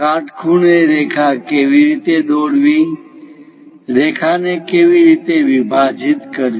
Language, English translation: Gujarati, How to draw perpendicular line, how to divide a line